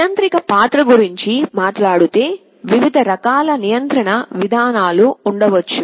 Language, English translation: Telugu, Talking of the role of controller, there can be various different types of control mechanisms